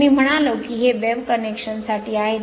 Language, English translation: Marathi, So, I mean it is for wave connection